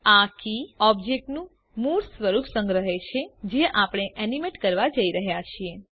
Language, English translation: Gujarati, This key saves the original form of the object that we are going to animate